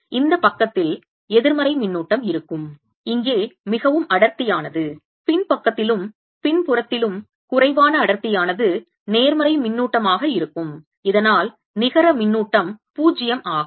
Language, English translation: Tamil, now, on this side there will be negative charge, more dense here, less dense in the back side, and on back side will be positive charge, so that net charge q is zero